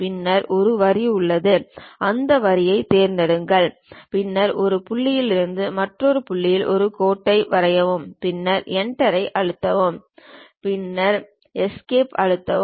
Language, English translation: Tamil, Then there is a Line, pick that Line, then from one point to other point draw a line then press Enter, then press Escape